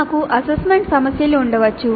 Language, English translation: Telugu, Then we can have assignment problems